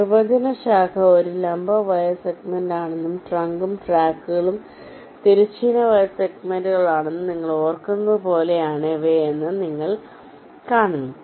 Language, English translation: Malayalam, you recall the definitions: branch is a vertical wire segment and trunk and tracks are horizontal wire segments